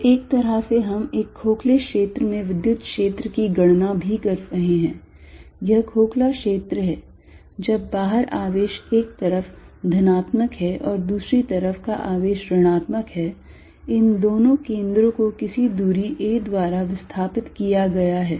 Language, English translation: Hindi, So, in a way we are also calculating the electric field in a hollow region, this is hollow region when charge outside on one side is positive and charge on the other side is negative, these two centres are displaced by some distance a